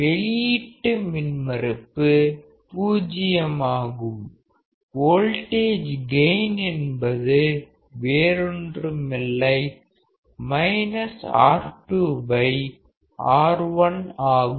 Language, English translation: Tamil, Output impedance is 0; voltage gain is nothing but minus R2 by R1